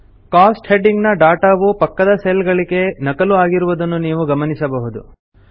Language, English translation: Kannada, You see that the data under the heading Cost gets copied to the adjacent cells